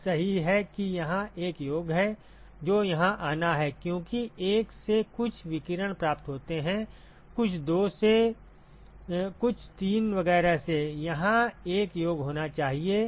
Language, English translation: Hindi, That is right there is the summation that has to come here, because there is some radiation received from 1, some from 2, some from 3 etcetera there has to be a summation